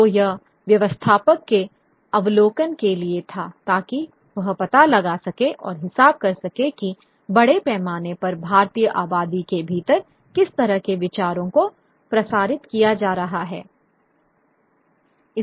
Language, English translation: Hindi, So, so it's for a novel view for the administrator to figure out what kind of ideas are being circulated within the Indian population at large